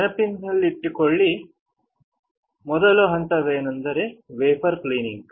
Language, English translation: Kannada, Let’s recall; The first step is wafer cleaning